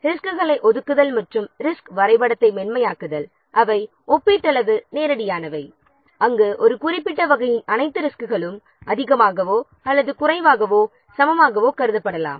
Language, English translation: Tamil, Allocating resources and smoothing resource histogram, they are relatively straightforward where all the resources of a given type they can be considered more or less equivalent